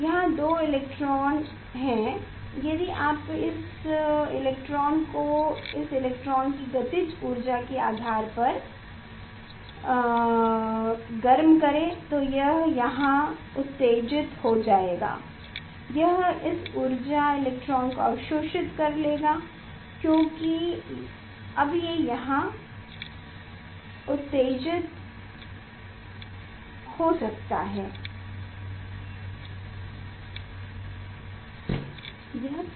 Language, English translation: Hindi, here two electrons are there if you heat this electron depending on this energy kinetic energy of the electron it will jump here it will absorb that energy electron as it will jump here then if energy